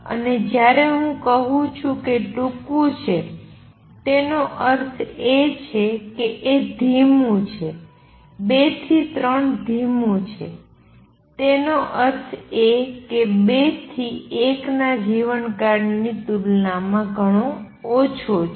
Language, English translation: Gujarati, And when I say very short that means, this is slow, 2 to 3 is slow; that means much less compare to life time from 2 to 1